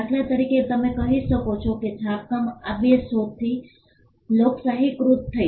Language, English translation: Gujarati, For instance, you can say that printing got democratized with these two inventions